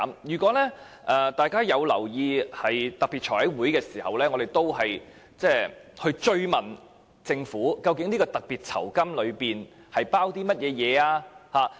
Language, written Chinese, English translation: Cantonese, 如果大家有留意特別財務委員會會議，我們曾追問政府，究竟酬金及特別服務包括甚麼？, If Members have kept track of the special meetings of the Finance Committee they should know that we pursued the Government for the details of these rewards and special services